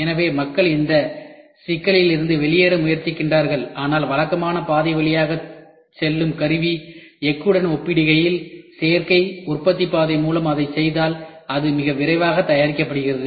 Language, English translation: Tamil, So, people are trying to get out of this problem, but compared to tool steel going through the conventional route, if we get it done by additive manufacturing route then it is made very quickly and it is inexpensive